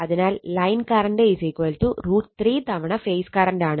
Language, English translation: Malayalam, So, line voltage is equal to phase voltage